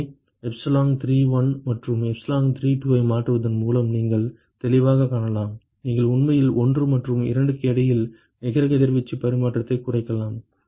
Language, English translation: Tamil, So, clearly you can see it by tweaking epsilon31 and epsilon32, you can actually minimize the net radiation exchange between 1 and 2